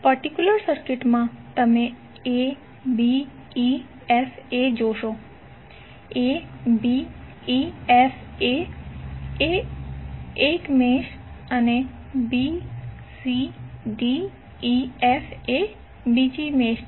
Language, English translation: Gujarati, In the particular circuit, you will see abefa, abefa is 1 mesh and bcdef, bcdef is another mesh